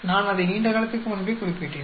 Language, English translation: Tamil, I mentioned it long time back